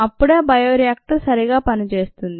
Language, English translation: Telugu, only then, ah, will the bioreactor function properly